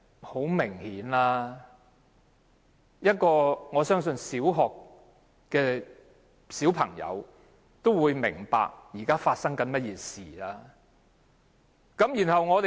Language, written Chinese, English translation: Cantonese, 很明顯，我相信一名小學生也會明白，現在發生甚麼事情。, I believe even a primary school student will understand what is happening